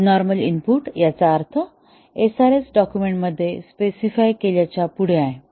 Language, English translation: Marathi, By abnormal input, we mean beyond what is specified in the SRS document